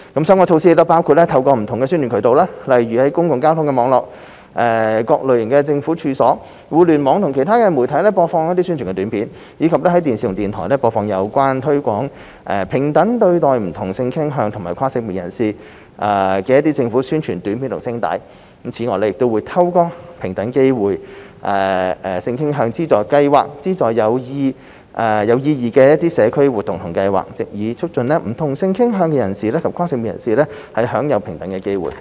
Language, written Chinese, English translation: Cantonese, 相關措施包括透過不同宣傳渠道，例如在公共交通網絡、各類政府處所、互聯網及其他媒體播放宣傳短片，以及在電視和電台播放有關推廣平等對待不同性傾向及跨性別人士的政府宣傳短片和聲帶。此外，亦會透過平等機會資助計劃資助有意義的社區活動計劃，藉以促進不同性傾向人士及跨性別人士享有平等機會。, Relevant measures include broadcasting promotional videos through various channels such as public transport network Government premises Internet and other media broadcasting Announcements in the Public Interest which promote equal opportunities for people of different sexual orientations and transgenders on television and radio and providing funding support to worthwhile community projects which aim at promoting equal opportunities on grounds of sexual orientation or gender identity through the Equal Opportunities Funding Scheme